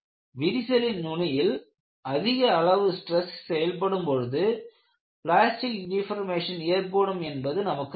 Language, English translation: Tamil, Because we all know near the crack tip, you have very high values of stresses that can give you plastic deformation